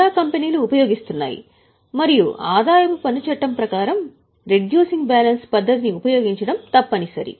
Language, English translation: Telugu, Most of the companies use it and as per incomecome Tax Act it is mandatory to use reducing balance method